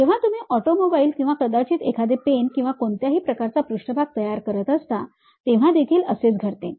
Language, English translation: Marathi, Same thing happens when you are going to create an automobile or perhaps a pen or any kind of surface